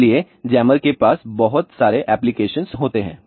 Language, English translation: Hindi, So, jammers have lot of applications that way